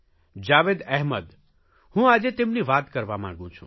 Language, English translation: Gujarati, Today, I want to talk about Javed Ahmed